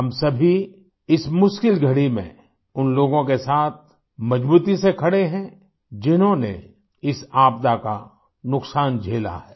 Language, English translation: Hindi, Let us all firmly stand by those who have borne the brunt of this disaster